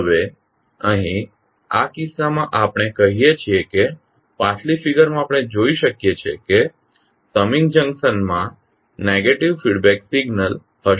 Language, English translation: Gujarati, Now, here in this case we say that in the previous figure we can observe that the summing junction will have negative feedback signal